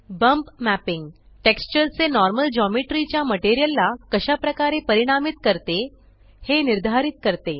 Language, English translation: Marathi, Bump mapping determines how the normal of the texture affects the Geometry of the material